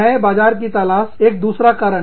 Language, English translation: Hindi, Search for new markets, is another one